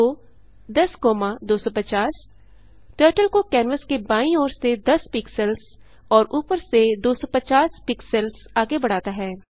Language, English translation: Hindi, go 10,250 commands Turtle to go 10 pixels from left of canvas and 250 pixels from top of canvas